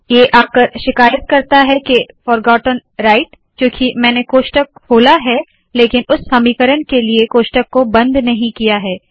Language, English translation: Hindi, It comes and complains forgotten right, because I opened it here but I didnt close it in the same equation